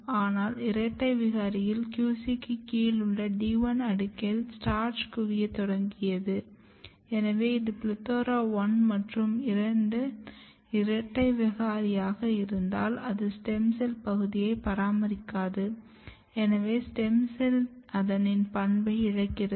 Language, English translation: Tamil, But if you look the double mutant the cells just below the QC in the D 1 layer, it has started accumulating starch, which suggest that in double mutant plethora1 and 2 double mutants the stem cell niche is not getting maintained stem cells are losing their stem cell property